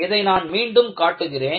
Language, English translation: Tamil, I will show one more example